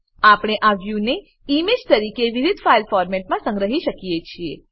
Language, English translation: Gujarati, We can save this view as an image in various file formats